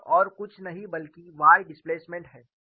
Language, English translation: Hindi, This is nothing but the y displacement